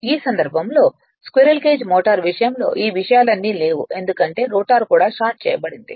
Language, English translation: Telugu, In this case of in that case of squirrel cage motor all these things are not there because rotor itself is shorted